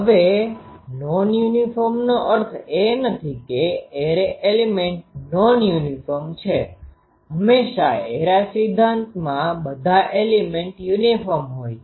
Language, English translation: Gujarati, Now uniform does not mean that or non uniform does not mean that the array elements are non uniform no, always in array theory all the elements are uniform